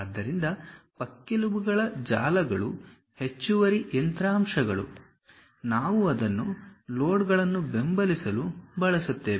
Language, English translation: Kannada, So, ribs webs these are the additional machine elements, which we use it to support loads